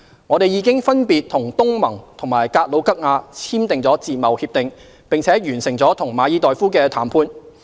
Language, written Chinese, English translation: Cantonese, 我們已經分別與東盟和格魯吉亞簽訂自貿協定，並完成了與馬爾代夫的談判。, We have already signed FTAs with ASEAN and Georgia respectively and have concluded negotiations with the Maldives